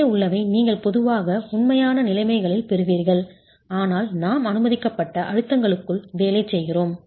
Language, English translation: Tamil, 4 and above is what you would typically get in real conditions but we are working within permissible stresses